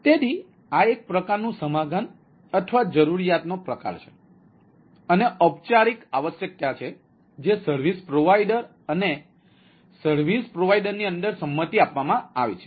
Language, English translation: Gujarati, so this is, this is the type of agreement or type of requirement and that formal requirement which has been agreed upon with within the service provider and the service provider